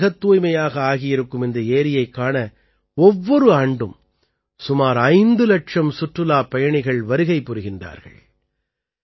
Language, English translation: Tamil, Now about 5 lakh tourists reach here every year to see this very clean lake